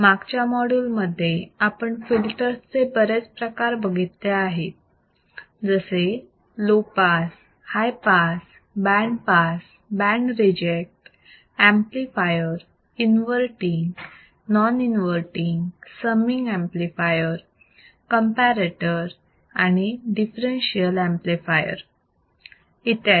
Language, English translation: Marathi, So, we have seen several types of filters right in the last lecture; right from low pass, high pass, band pass, band reject, amplifiers, inverting, non inverting, summing amplifier, comparator a differential amplifier